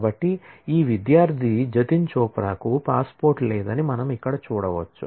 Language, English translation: Telugu, So, as we can see here that this student Jatin Chopra does not have a passport